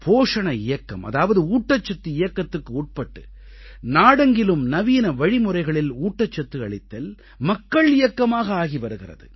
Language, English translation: Tamil, Under the 'Poshan Abhiyaan' campaign, nutrition made available with the help of modern scientific methods is being converted into a mass movement all over the country